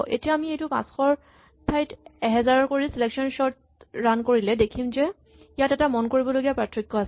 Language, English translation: Assamese, So, let us see if I make this as 1000 instead of 500, and run selection sort then you can see there is an appreciable gap